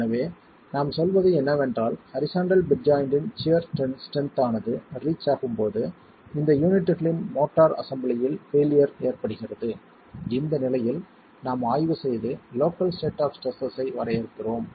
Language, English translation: Tamil, So, what we are saying is when the sheer strength of the horizontal bed joint is reached, failure occurs in this unit motor assembly that we are examining at this state and defining the local states of stresses